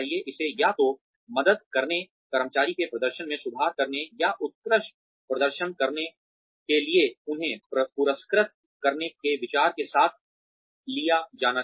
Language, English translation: Hindi, it should be taken on, with the idea of either helping, improve employee's performance, or rewarding them for excellent performance